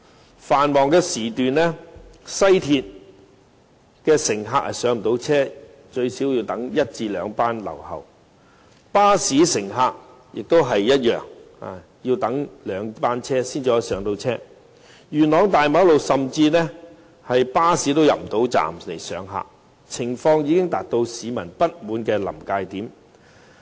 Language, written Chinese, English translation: Cantonese, 在繁忙時段，西鐵乘客最少也要等候一兩班車才能上車；而巴士乘客的情況亦相同，也是要等候兩班車才有位置上車，元朗大馬路非常擠塞，甚至連巴士也無法駛入巴士站，情況已經到達市民不滿的臨界點。, During peak hours passengers taking the West Rail Line have to wait at least one or two trains before they can board the train . People taking the bus are facing the same problem they have to wait for the next bus or two before they can get on the bus which still have some seats or space available . Yuen Long Main Road is so congested that even buses could not get inside the bus stop